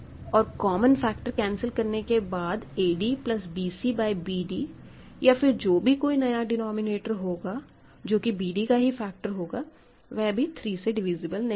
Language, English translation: Hindi, Here 3 is a prime is used and after cancelling common factors of this quotient, a d plus bc by bd whatever is the new denominator being a factor of b d will, will continue to be not divisible by 3 ok